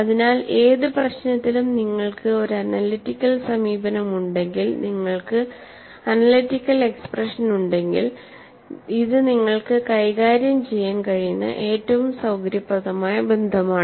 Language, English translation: Malayalam, So, in any problem if you have an analytical approach and you have analytical expression, it is a most convenient form of relation that you can handle